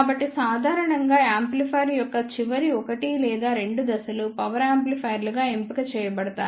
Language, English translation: Telugu, So, in general the last 1 or 2 stages of the amplifier are selected as power amplifiers